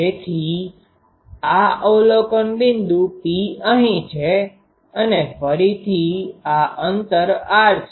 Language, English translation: Gujarati, So, this observation point is here P and again this r distance